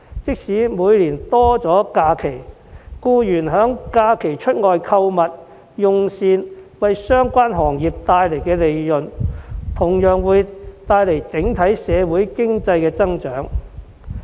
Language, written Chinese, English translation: Cantonese, 即使每年多了假期，但僱員在假期外出購物和用膳而為相關行業帶來的利潤，同樣會帶來整體社會經濟增長。, Even though there are more holidays each year the profits brought to the relevant industries from employees shopping and dining out during holidays will bring an overall economic growth to society as well